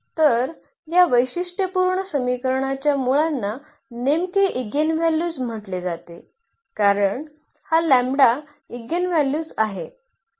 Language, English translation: Marathi, So, here the roots of this characteristic equation are exactly called the eigenvalues because this lambda is the eigenvalue